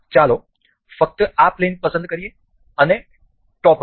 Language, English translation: Gujarati, Let us just select this plane and say the top plane